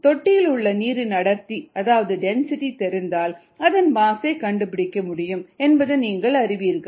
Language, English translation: Tamil, all of you know that if we know the density, we can find out the mass of the water in the tank